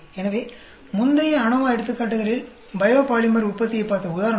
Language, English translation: Tamil, So, in the example which we looked at the biopolymer production in the previous ANOVA examples